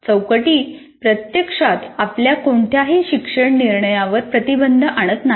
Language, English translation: Marathi, Actually, framework does not restrict any of your academic decision making